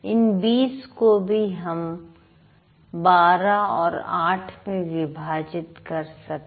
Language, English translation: Hindi, This 44 can be divided into 20 and 24